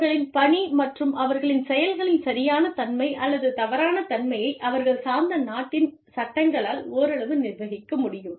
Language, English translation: Tamil, And, their work, and their, the rightness or wrongness of their actions, could be governed in part, by the laws of the country, they belong to